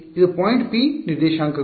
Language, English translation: Kannada, It is the coordinates of this point P